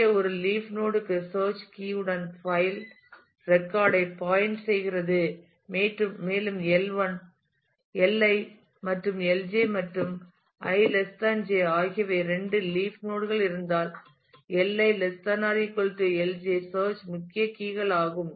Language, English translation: Tamil, So, for a leaf node the pointer P i points to the file record with the search key K i and if there are two leaf nodes L i and Lj and i is less than j, then L i search key values are less than or equal to the L j search key values